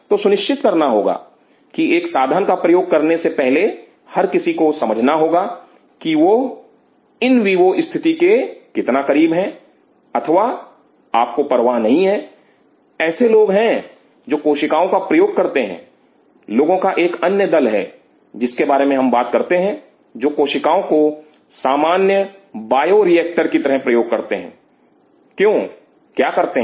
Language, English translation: Hindi, So, one has to realize that before using a tool one has to understand how close you are to the in vivo condition or you do not care, there are people who use cells there is another group of people we talk about them, who use cell as a simple bio reactor what do they do